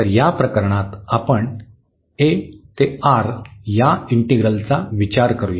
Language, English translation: Marathi, So, in this case what we will consider, we will consider the integral a to R